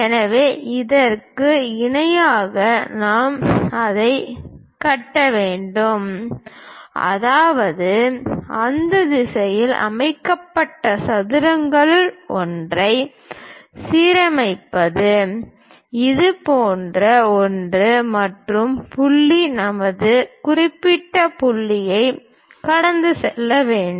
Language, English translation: Tamil, So, parallel to that, we have to construct it; that means align one of your set squares in that direction, something like that, and the point has to pass through our particular points